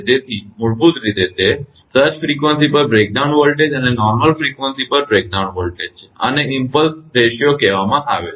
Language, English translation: Gujarati, So, basically it is a breakdown voltage at the surge frequency to the breakdown voltage at normal system frequency, this is that called impulse ratio